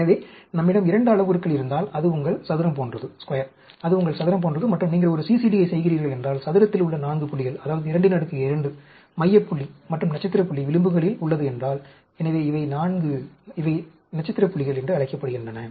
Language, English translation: Tamil, So, if we have a, say a 2 parameter, that is like your square, that is like your square and if you are doing a CCD, the 4 points in the square, that is, the 2 power raised to the power 2, the center point and if the star point is at the edges, so, these are the 4; these are called the star points